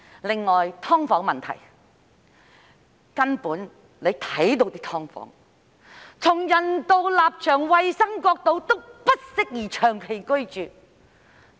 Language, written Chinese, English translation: Cantonese, 另外是"劏房"問題，大家都看到那些"劏房"，從人道立場及衞生角度來看，均不適宜長期居住。, Another problem is about subdivided units . We have all seen those subdivided units . For humanitarian and hygiene consideration these subdivided units are unsuitable for long - term living